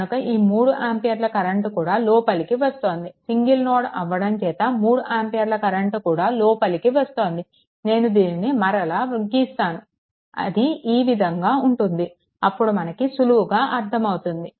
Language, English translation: Telugu, So, this 3 ampere current also it entering, it is entering right this 3 ampere current is also entering because it is a single node, ah I am not writing this, I mean if you make it like these it will be something like these